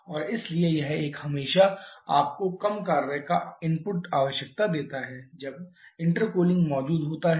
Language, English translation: Hindi, And therefore this one always give you less work input requirement when the intercooling is present